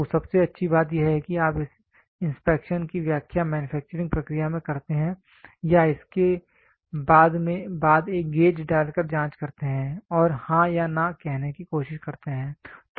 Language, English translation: Hindi, So, the best part is you interpret this inspection right in the manufacturing process or after it try to put a gauge and check and try to say yes or no